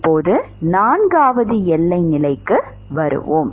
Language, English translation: Tamil, Now, comes to the fourth boundary condition